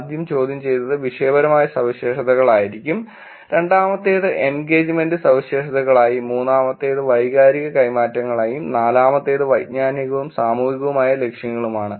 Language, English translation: Malayalam, We started the first question to be topical characteristics, second one to be the engagement characteristics, third one to be emotional exchanges, and the fourth one to be cognitive and social orientation